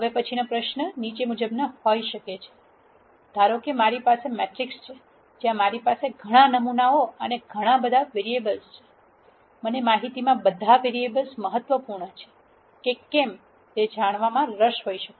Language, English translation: Gujarati, The next question might be the following, supposing I have a matrix where I have several samples and several variables, I might be interested in knowing if all the variables that are there in the data are important